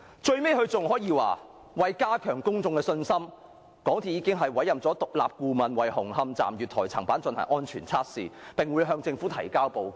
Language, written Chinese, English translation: Cantonese, 最後，該聲明更說"為加強公眾的信心，公司早前已委任獨立顧問為紅磡站月台層板進行安全測試，並會向政府提交報告。, Finally the statement even states that [i]n order to enhance public confidence MTRCL has commissioned an independent consultant to conduct a safety test on the platform slab at the Hung Hom Station and will submit the report to the Government